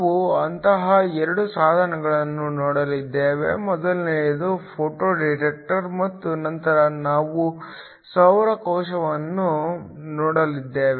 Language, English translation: Kannada, We are going to look at 2 such devices, the first one is the Photo detector and then later we are going look at a Solar cell